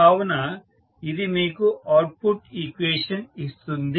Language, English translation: Telugu, So, this is how you get the output equation